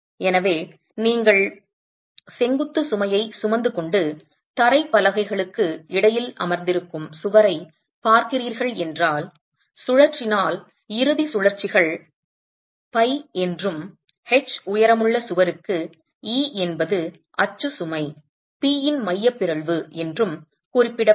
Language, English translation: Tamil, So, if you are looking at a wall which is carrying your vertical load and sitting between floor slabs and if the rotation, the end rotations are designated as phi and E being the eccentricity of the axial load P for a wall of height H